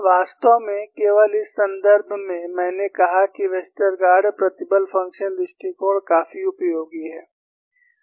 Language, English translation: Hindi, In fact, only in this context, I said Westergaard stress function approach is quite useful